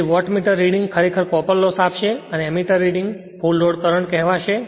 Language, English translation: Gujarati, So, Wattmeter reading actually will give you the copper loss and this Ammeter reading will that give the your what you call full load current